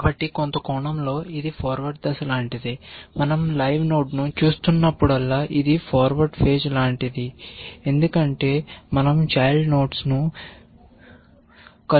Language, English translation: Telugu, So, in some sense this is like the forward phase, whenever we are looking at the live node it is like forward phase because we are adding the children